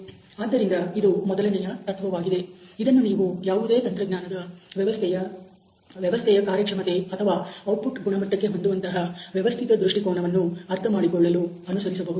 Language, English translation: Kannada, So, this is the first principle that you should follow in order to realize any engineering system for giving a systematic point of view to the quality of output of or the performance of the system